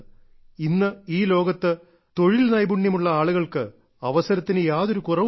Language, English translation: Malayalam, There is no dearth of opportunities for skilled people in the world today